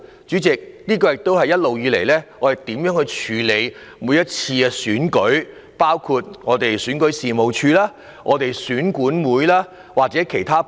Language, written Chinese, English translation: Cantonese, 主席，這也是我們對於政府部門處理每次選舉的態度，包括選舉事務處、選舉管理委員會及其他部門。, President this is also our hope for government departments including the Registration and Electoral Office and the Electoral Affairs Commission in each election